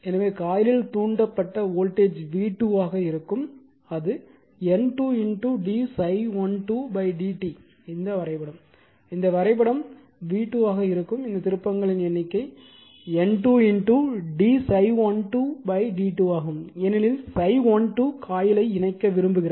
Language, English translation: Tamil, So, the voltage induced in coil 2 will be v 2 will be N 2 into d phi 1 2 upon d t, this diagram this diagram v 2 will be your this number of turns is N 2 into d phi 1 2 upon d t because phi want to link the coil 2 right